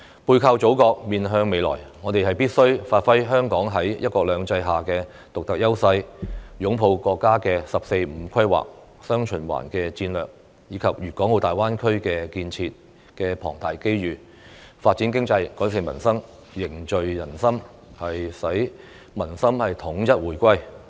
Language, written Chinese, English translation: Cantonese, 背靠祖國，面向未來，我們必須發揮香港在"一國兩制"下的獨特優勢，擁抱國家"十四五"規劃、"雙循環"戰略，以及粤港澳大灣區建設的龐大機遇，發展經濟，改善民生，凝聚人心，使民心統一回歸。, With the Motherland at our back and facing the future we must give full play to Hong Kongs unique advantages under one country two systems and embrace the tremendous opportunities arising from the National 14th Five - Year Plan the dual circulation strategy and the development of the Guangdong - Hong Kong - Macao Greater Bay Area to develop the economy improve peoples livelihood unite people and win their hearts and minds